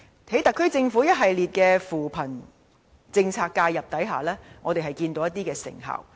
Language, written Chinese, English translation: Cantonese, 在特區政府一系列扶貧政策的介入下，我們看到一些成效。, The SAR Governments policy intervention has achieved certain effects in poverty alleviation